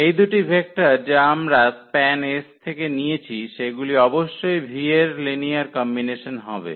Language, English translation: Bengali, So, these two vectors which we have taken from the span S they must be the linear combination of the v’s